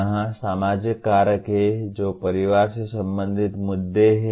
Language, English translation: Hindi, Here social factors that is the family related issues